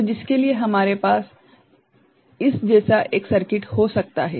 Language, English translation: Hindi, So, for which we can have a circuit like this right